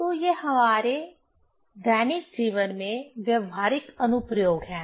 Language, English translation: Hindi, So, these are the practical applications in our daily life